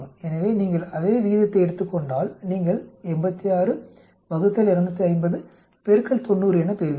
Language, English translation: Tamil, So you take that same ratio you will get it as 86 divided by 250 into 90